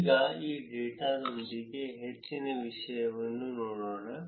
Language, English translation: Kannada, Now, let us look at more analysis with this data